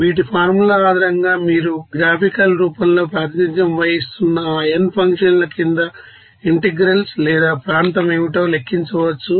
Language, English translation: Telugu, So, based on these, you know, formula you can calculate what should be the integral you know or area under that n functions that is represent in the graphical form